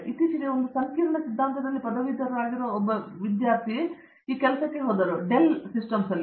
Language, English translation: Kannada, Recently one person who graduated in a complexity theory went for this job, for example, in Dell systems